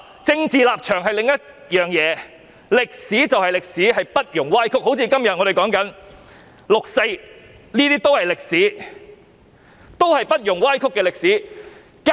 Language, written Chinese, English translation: Cantonese, 政治立場是另一回事，歷史就是歷史，不容歪曲，正如我們今天談論的六四是不容歪曲的歷史。, Political stance is one thing but history is history which should not be distorted . A case in point is that the 4 June incident which we are talking about today is history that allows no distortion